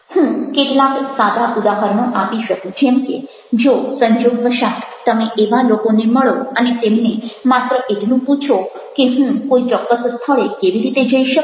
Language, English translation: Gujarati, i can sight some simple examples, like if you ah meet by chance this type of people and just you ask that how can i go to some particular place